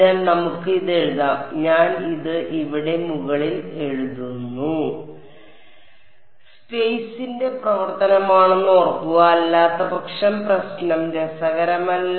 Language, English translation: Malayalam, So, let us write this out I just write this on the top over here T m remember epsilon r is a function of space otherwise the problem is not interesting ok